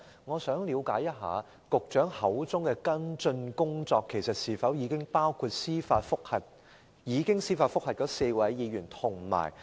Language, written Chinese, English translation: Cantonese, "我想問，局長所謂的"跟進工作"是否包括已向那4位議員提出的司法覆核？, May I ask whether the follow - up work referred to by the Secretary covers the judicial reviews initiated against those four Members?